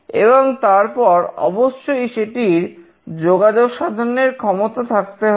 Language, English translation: Bengali, And then of course, it will have communication capability